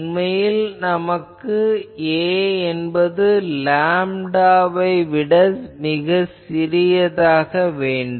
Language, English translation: Tamil, Actually and also we required that a should be much less than lambda